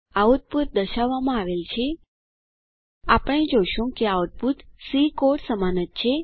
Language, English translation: Gujarati, The output is displayed: We see that the output is same as the one in C program